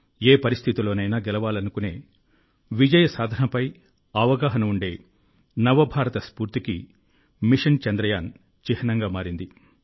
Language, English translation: Telugu, Mission Chandrayaan has become a symbol of the spirit of New India, which wants to ensure victory, and also knows how to win in any situation